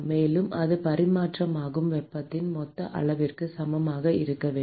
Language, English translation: Tamil, And that should be equal to the total amount of heat that is transferred